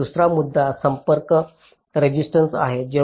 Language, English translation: Marathi, so another issue is the contacts resistance